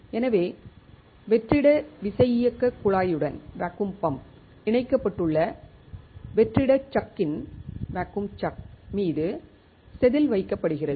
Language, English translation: Tamil, So, wafer is held on to the vacuum chuck which is connected right to the vacuum pump